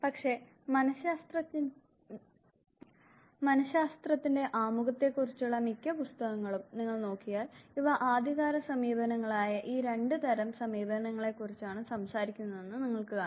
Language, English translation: Malayalam, But then most of the books of introduction psychology, if you look at it will talk about know these two type approaches, the early approaches